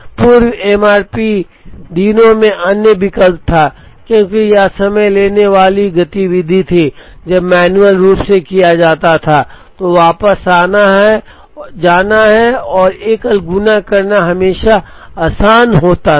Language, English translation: Hindi, The other alternative in the pre MRP days was, since this was time consuming activity even when done manually, it was always easy to go back and do a single multiplication